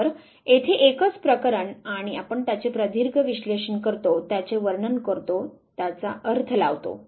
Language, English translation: Marathi, So, one single case and you analyze it at length, to describe it, interpret it